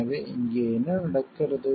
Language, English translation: Tamil, So, here what happen